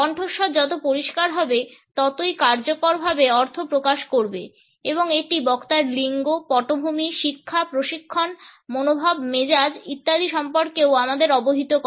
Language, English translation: Bengali, The clearer the voice the more effectively it will convey the meaning and it also informs us of the speaker’s gender, background, education, training, attitude, temperament etcetera